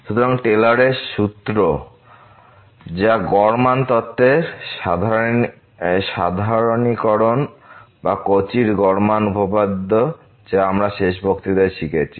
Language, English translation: Bengali, So, this Taylor’s formula which is a generalization of the mean value theorem or the Cauchy's mean value theorem which we have learned in the last lecture